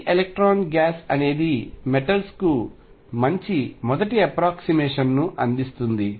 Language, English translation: Telugu, So, free electrons provide a reasonably good first approximation for metals